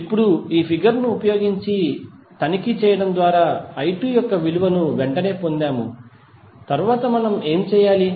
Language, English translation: Telugu, Now, we got the value of i 2 straightaway through inspection using this figure, what we have to do next